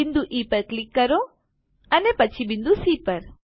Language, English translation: Gujarati, Click on the point E and then on point C